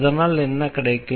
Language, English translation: Tamil, So, what we have learn